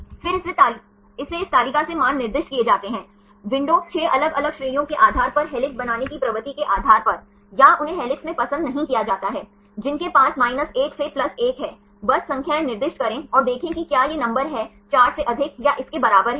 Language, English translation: Hindi, Then it gets assigned the values from this table, window 6 different categories based on the tendency to form helix or they are not preferred to be in helix they have 1 to +1, just put the numbers assign the numbers and see whether this number is more than or equal to 4